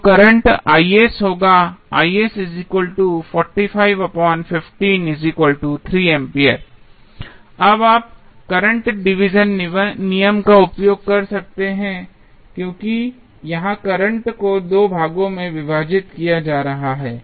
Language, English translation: Hindi, Now, you can use current division rule, because here the current is being divided into 2 parts